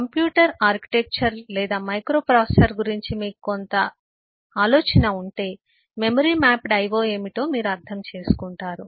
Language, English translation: Telugu, I mean if you have some idea about computer architecture or microprocessor will understand what is memory mapped io